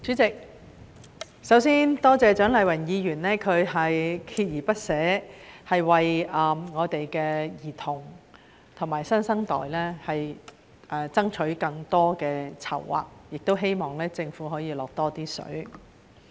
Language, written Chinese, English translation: Cantonese, 主席，首先多謝蔣麗芸議員鍥而不捨地為兒童和新生代爭取更多的籌劃，也希望政府可以"落多些水"。, President I first thank Dr CHIANG Lai - wan for persistently striving for more plans for children and the new generation and hoping that the Government can make more contributions